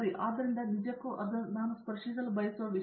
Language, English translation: Kannada, So that also, in fact that was something that I want to touch upon